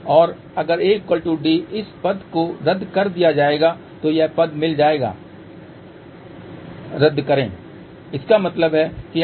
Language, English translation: Hindi, And if A is equal to D this term will get cancel this term will get cancel so that means, S 11 is equal to S 22